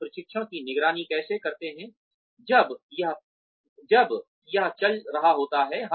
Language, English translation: Hindi, How do we monitor the training, when it is going on